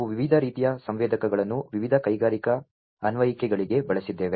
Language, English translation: Kannada, We have gone through the use of different types of sensors, for different industrial applications